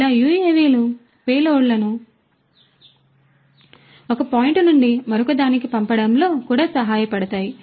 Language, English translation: Telugu, Like this the UAVs can also help in sending payloads from one point to another